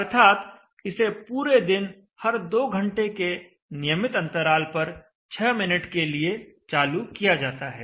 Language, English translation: Hindi, So 6minutes every time it is switched on but it is switched on at regular intervals of 2 hours throughout the entire day